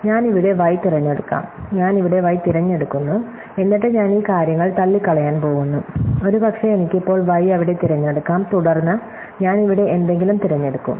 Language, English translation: Malayalam, And saying that may be I pick y here, I pick y here, then I am go to rule out these things and I will maybe I can now I pick y there, then I to pick something here